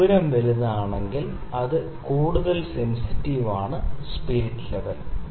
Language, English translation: Malayalam, So, larger the radius the more sensitive is the spirit level